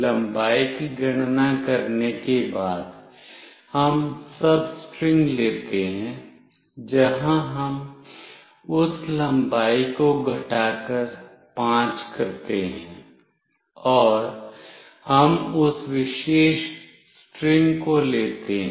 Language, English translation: Hindi, After calculating the length, we take the substring, where we cut out that length minus 5, and we take that particular string